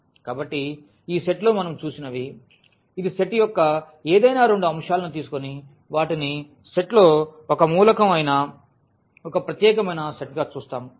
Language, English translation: Telugu, So, here what we have seen in this set which is a kind of a special set if we take any two elements of the set and add them that is also an element of the set